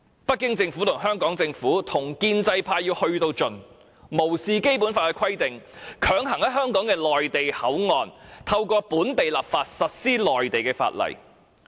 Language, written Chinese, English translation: Cantonese, 北京政府、香港政府與建制派千方百計，甚至無視《基本法》的規定，透過本地立法，強行在香港的內地口岸區實施內地法例。, The Beijing and Hong Kong Governments and the pro - establishment camp have strived to enact legislation to enforce Mainland laws in MPA without even giving due consideration to the provisions of the Basic Law